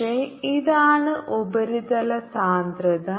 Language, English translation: Malayalam, but this is a substance density